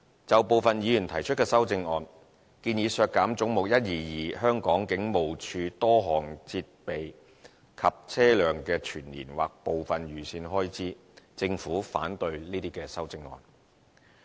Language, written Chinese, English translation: Cantonese, 就部分議員提出的修正案，建議削減"總目 122― 香港警務處"多項設備及車輛的全年或部分預算開支，政府反對這些修正案。, Some Members put forward the amendments to reduce the annual or part of the estimated expenditures on various equipment and vehicles for Head 122―Hong Kong Police Force and the Government is opposed to these amendments